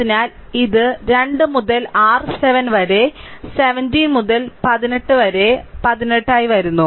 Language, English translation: Malayalam, So, it is coming 2 into your 7 by 17 by 18